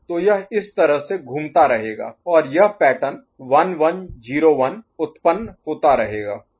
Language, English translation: Hindi, So, this is the way it will keep circulating and this pattern 1 1 0 1 will keep getting generated